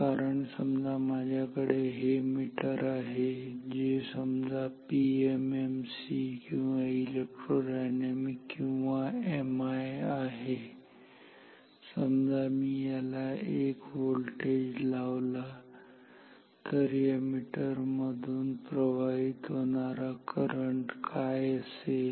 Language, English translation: Marathi, Because say if I have this meter which is so which is say PMMC or electrodynamic or MI, if I apply a voltage V across this ok, so what will be the current through this meter, this current I will be V divided by R m